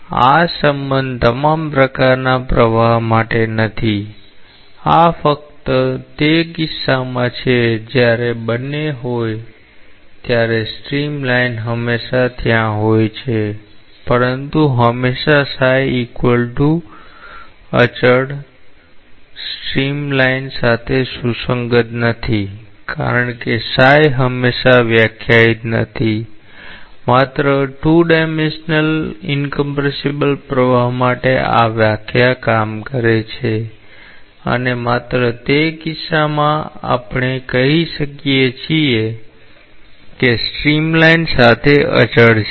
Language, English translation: Gujarati, So, this relationship is not for all types of flow; this is only for that case when both are there streamline is always there, but always psi equal to constant along a streamline is not relevant because always psi is not defined; only for 2 dimensional incompressible flow these definition works and only for that case we may say that it is constant along a streamline